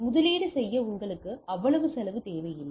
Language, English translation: Tamil, So, you may not require that much cost to be invested